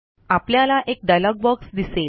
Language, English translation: Marathi, A dialog box appears in front of us